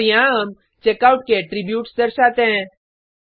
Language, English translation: Hindi, And, here we display the attributes of the Checkout